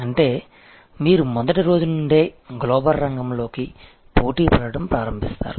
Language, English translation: Telugu, That means, you start competing in the global arena right from day one